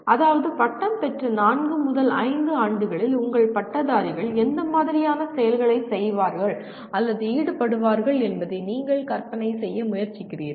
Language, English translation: Tamil, That means you are trying to visualize what kind of activities your graduates will be doing or involved in let us say in four to five years after graduation